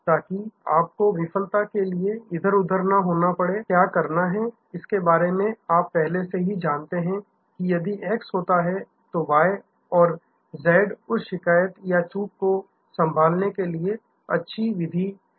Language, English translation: Hindi, So, that you do not have to scamper around in a failure occurs about what to do, you already know that if x is happen, then y and z are the best ways to handle that complain or that lapse